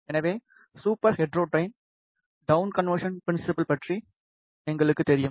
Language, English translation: Tamil, So, we know about the super heterodyne, down conversion principal